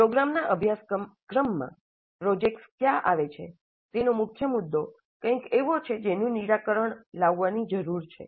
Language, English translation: Gujarati, And the key issue of where do the projects come in the program curriculum is something which needs to be resolved